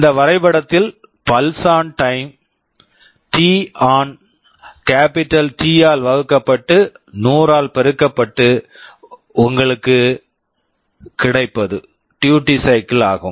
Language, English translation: Tamil, In this diagram the pulse on time is t on divided by capital T multiplied by 100 that will give you the duty cycle